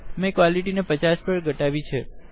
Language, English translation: Gujarati, I have reduced the quality to 50